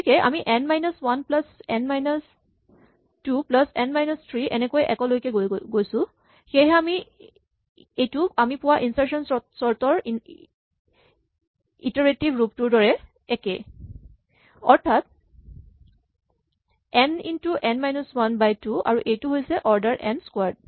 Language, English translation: Assamese, So, we will have n minus 1 plus n minus 2 down to 1 which is the same thing we had for the iterative version of insertion sort n into n minus 1 by 2 and this is order n squared